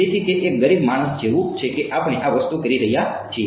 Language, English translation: Gujarati, So, it's like a poor mans we have doing this thing